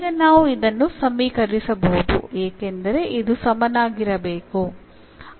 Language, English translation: Kannada, So, we can equate because this must be equal now